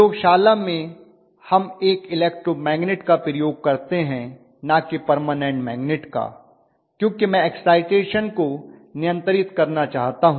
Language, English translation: Hindi, What we do in the laboratory is with an electromagnetic is not done with the permanent magnet because I want to be able to adjust the excitation